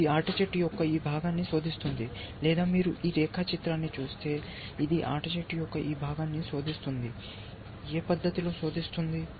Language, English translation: Telugu, It searching this part of the tree, game tree or in if you look at this diagram, it searching this part of the game tree, would in what manner is searching